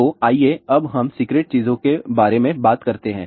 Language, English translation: Hindi, So, let us now talk about the secrete things